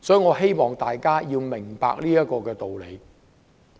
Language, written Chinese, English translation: Cantonese, 我希望大家明白這個道理。, I hope Members will understand this point